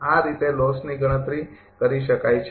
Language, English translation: Gujarati, This way loss can be computed